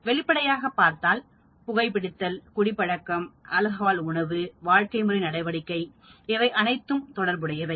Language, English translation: Tamil, Obviously, smoking, drinking, alcohol diet, lifestyle activities they are all related